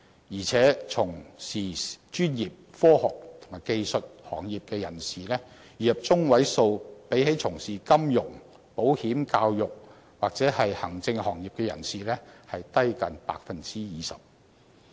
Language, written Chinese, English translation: Cantonese, 而且，從事專業、科學及技術行業的人士，月入中位數比起從事金融、保險、教育及行政行業的人士低近 20%。, And the median incomes of those who join professional science and technology industries are about 20 % lower than those in finance insurance education and administration